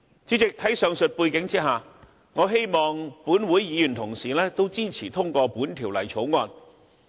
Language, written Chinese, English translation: Cantonese, 主席，在上述背景下，我希望立法會議員同事亦支持通過《條例草案》。, President against the above background I hope that my colleagues in the Legislative Council will support the passage of the Bill